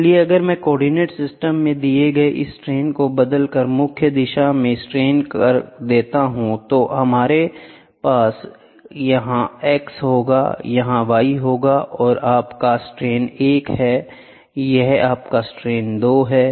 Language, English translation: Hindi, So, if I changes this strain given in the coordinate system to strain transformed to principal direction, we will have this is x, this is y, this is your strain 1, this is your strain 2, this is your strain 2, this is your strain 1, ok